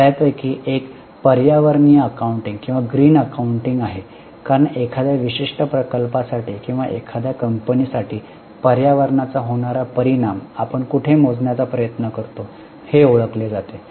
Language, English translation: Marathi, One of them is environmental accounting or green accounting as it is known as where we try to measure the environmental impact for a particular project or for a company